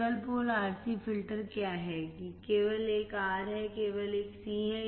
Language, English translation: Hindi, What is single pole RC filter, there is only one R, there is only one C